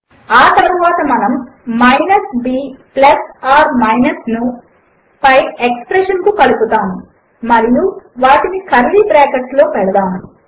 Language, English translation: Telugu, Next, we will add the minus b plus or minus to the above expression and put them inside curly brackets